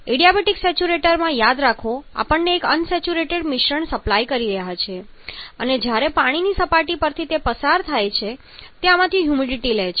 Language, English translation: Gujarati, Remember in adiabatic saturation supply and unsaturated mixture and when passing over the water surface it pics of the moisture from this and as it is picking of the moisture